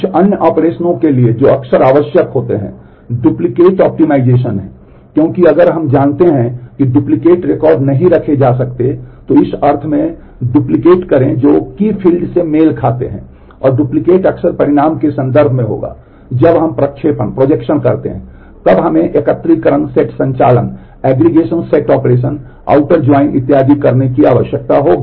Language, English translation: Hindi, Couple of other operations which are often required is duplicate elimination because if they we know that there are duplicate records cannot be kept, duplicate in the sense the records which match in the in the key field and the duplicate will often happen in terms of the result, they will happen in terms of when we do projection, we will need to do aggregation set operations outer join and so, on